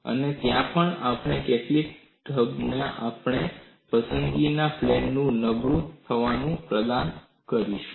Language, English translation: Gujarati, There also we would provide in some fashion the plane of our choice to be weakened